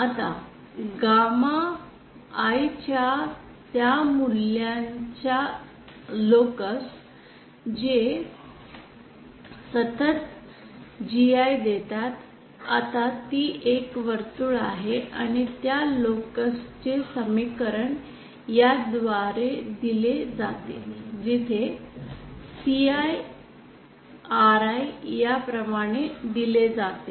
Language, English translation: Marathi, Now the locus of those values of gamma I which give constant GI now that is a circle and the equation for that locus is given by this where CI, RI is given is like this